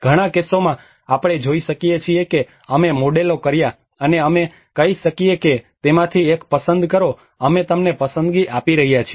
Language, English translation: Gujarati, In many of the cases we can see that we did the models and we can say please select one of that we are giving you a choice